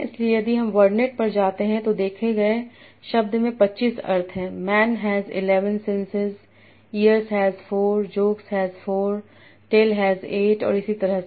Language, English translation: Hindi, So if I go to WordNet, the word saw has 25 senses, man has 11 senses, ESH 4, Jokes has 4, TAL has 8 and so on